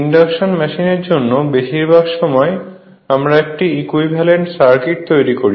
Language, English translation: Bengali, Most of the times for induction machine we have spend to make an approximate or equivalent circuit right